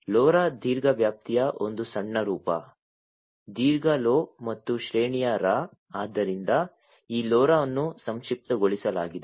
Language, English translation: Kannada, Lora is a short form of long range; long Lo, and range Ra so that is how this LoRa is has been acronymed